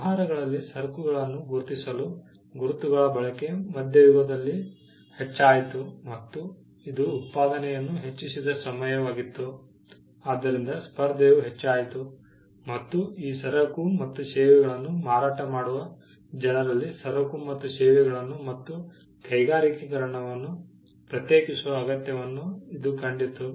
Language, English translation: Kannada, The use of marks for businesses to identify goods increased around the middle ages, which was a time when productivity increased, and competition also increased and this saw the need to distinguish, goods and services amongst people who were selling these goods and services and industrialization also played a role